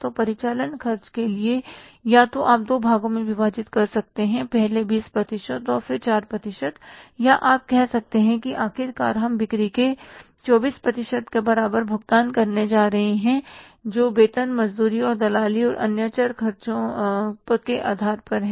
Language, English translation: Hindi, So, for the operating expenses either you can bifurcate into two parts, first is 20% and then 4% or you can say that finally we are going to pay equal to 24% of sales that is on account of salaries, wages and commission and other variable expenses